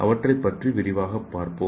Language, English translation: Tamil, So let us see these steps in detail